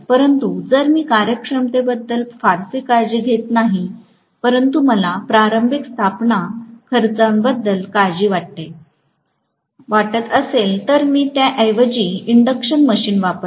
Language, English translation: Marathi, But if I do not care soo much about the efficiency, but I am worried about the initial installation cost, I will rather employ induction machine